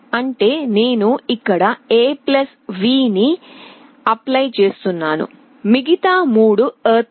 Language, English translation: Telugu, That means, I am applying a +V here, all other 3 are ground